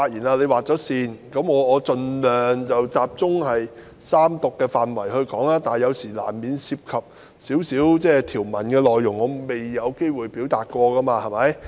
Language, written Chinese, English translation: Cantonese, 我現在會盡量集中就三讀辯論的範圍發言，但有時難免會談及條文內容，因為早前未有機會表達。, I will now speak within the scope of the Third Reading debate but sometimes I will inevitably touch on the contents of the provisions because I did not have the opportunity to voice my views earlier